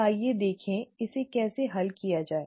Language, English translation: Hindi, So let us look at how to solve this